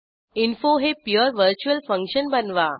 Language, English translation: Marathi, Let us see pure virtual function